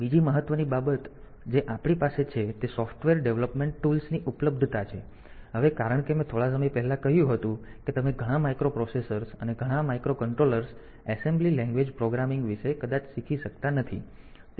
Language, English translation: Gujarati, Second important thing that we have is the availability of software development tools now as some time back I have said that that so many microprocessors and microcontrollers that you possibly cannot learn about the assembly language programming of all those all those processors